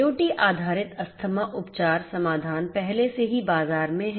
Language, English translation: Hindi, IoT based asthma treatment solutions are already in the market